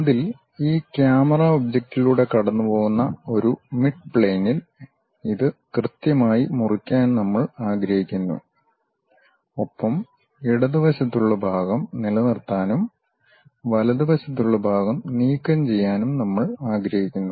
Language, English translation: Malayalam, On that we will like to slice it precisely at a mid plane passing through this camera object and we will like to retain the portion which is on the left side and remove the portion which is on the right side